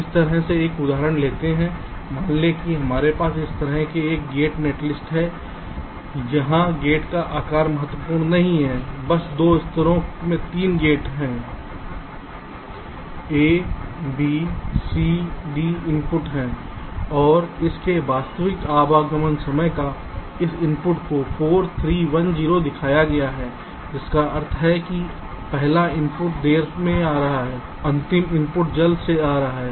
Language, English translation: Hindi, take next, take an example like this: suppose means we have a gate netlist like this here, the type of this, not important, just there are three gates in two levels: a, b, c, d are the inputs and the actual arrival time of this, of this inputs are shown: four, three, one zero, which means the first input is arriving late, the last input is arriving earliest